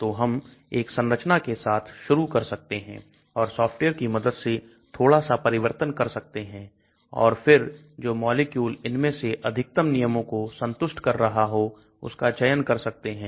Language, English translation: Hindi, So we can start with 1 structure and then slightly modify using the software and then select a structure which seems to satisfy most of these rules